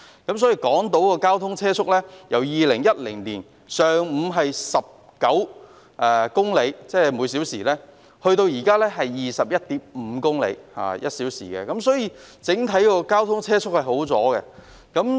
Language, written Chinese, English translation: Cantonese, 港島的上午交通車速由2010年的每小時19公里增至現時的每小時 21.5 公里，由此可見，整體車速已有所改善。, The vehicular speed on Hong Kong Island during morning hours has gone up from 19 kmh in 2010 to the current 21.5 kmh . This shows an improvement in the overall vehicular speed